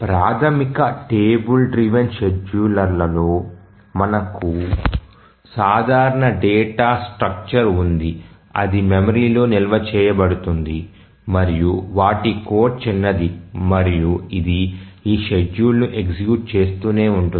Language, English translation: Telugu, So, here as you can see in a basic travel driven scheduler we have a simple data structure that is stored in the memory and the code is small and it just keeps on executing this schedule